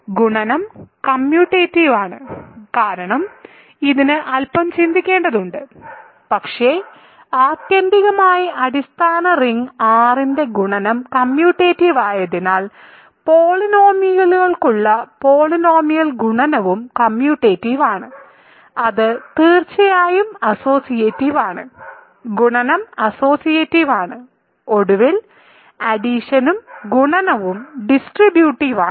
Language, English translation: Malayalam, And, multiplication is commutative right because, ok, this requires a little thinking, but ultimately because multiplication in the base ring R is commutative, multiplication in the polynomial for polynomials also is commutative; it is certainly associative, multiplication is associative and finally, addition and multiplication distribute, ok